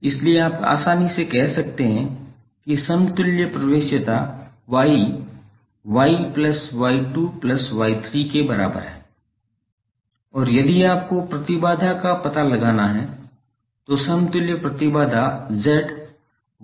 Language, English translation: Hindi, So you can easily say that the equivalent admittance Y is equal to Y1 plus Y2 plus Y3 and if you have to find out the impedance then the equivalent impedance Z would be 1 by Y